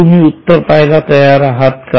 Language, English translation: Marathi, Are you ready to see the solution